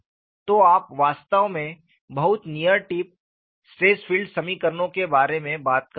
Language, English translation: Hindi, So, that is what is emphasized here; so, you are really talking about very near tip stress field equations